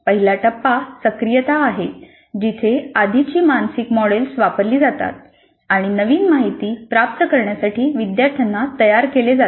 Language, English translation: Marathi, So the first phase is activation where the prior mental models are invoked, preparing the learners to receive the new information